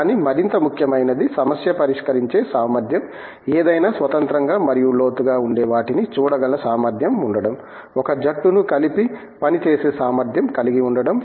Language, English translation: Telugu, But, more important is the problem solving capability, the ability to look at something if they are independently and in depth, the ability to get a team together and work